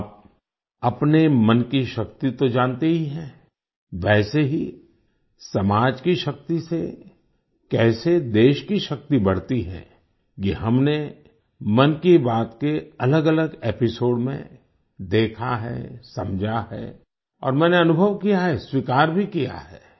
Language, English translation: Hindi, You know the power of your mind… Similarly, how the might of the country increases with the strength of the society…this we have seen and understood in different episodes of 'Mann Ki Baat'